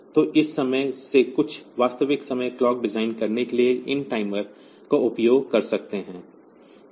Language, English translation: Hindi, So, this way we can use this timers for designing some real time clock